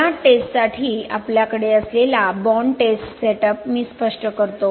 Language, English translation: Marathi, Let me explain the bond test setup that we have here for this testing